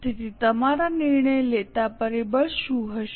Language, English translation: Gujarati, So, what will be your decision making factor